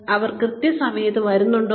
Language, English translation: Malayalam, Are they coming on time